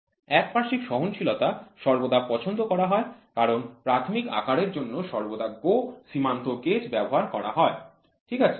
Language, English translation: Bengali, The unilateral tolerance is always preferred because the basic size is used to go for GO limit gauge, ok